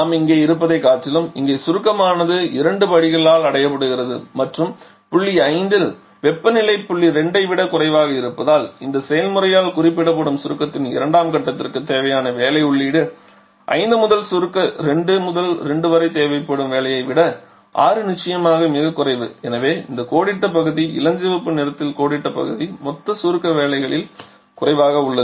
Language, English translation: Tamil, Rather what we are having here, here the compression is being achieved by two step steps and as the temperature at point 5 is lower than the temperature point 2o so the work input required for the second string of compression that is represented by this process 5 to 6 is definitely much lower than the walk that would have been required during the compression 2 to 2 prime and therefore the shaded area the area shaded in pink that is there is a decrease in the total compression work